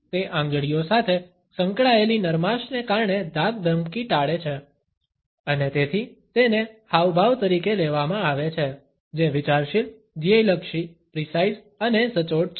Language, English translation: Gujarati, It avoids the intimidation, because of the softness associated with the fingers and therefore, it is perceived as a gesture, which is thoughtful, goal oriented, precise and accurate